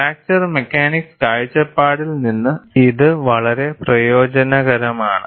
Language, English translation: Malayalam, So, there fracture mechanics would not be of much use